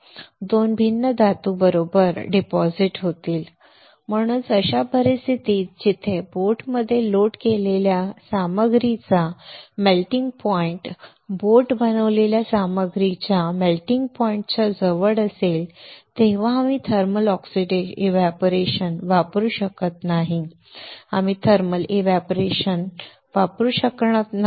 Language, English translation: Marathi, 2 different metals will be depositing right that is why in such cases where your melting point of the material loaded inside the boat is close to the melting point of the material from which boat is made we cannot use thermal evaporator, we cannot use thermal evaporator